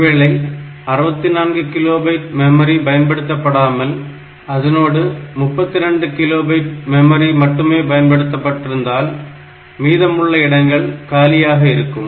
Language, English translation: Tamil, Now if it is not using 64 kilobyte maybe the system has got only 32 kilobyte of memory in it